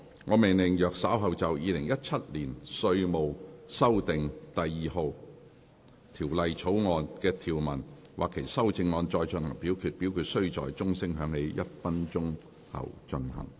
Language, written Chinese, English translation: Cantonese, 我命令若稍後就《2017年稅務條例草案》所提出的議案或修正案再進行點名表決，表決須在鐘聲響起1分鐘後進行。, I order that in the event of further divisions being claimed in respect of the Inland Revenue Amendment No . 2 Bill 2017 or any amendments thereto the committee do proceed to each of such divisions immediately after the division bell has been rung for one minute